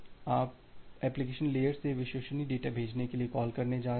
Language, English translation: Hindi, Now you are going to getting a call for reliable data send from the application layer